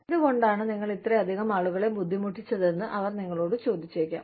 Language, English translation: Malayalam, They may ask you, why you have made, so many people suffer